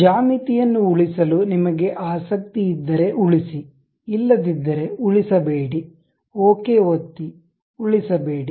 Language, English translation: Kannada, If you are not interested in saving geometries, do not save, click ok, do not save